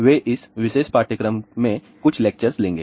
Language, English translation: Hindi, They will be taking some of the lectures in this particular course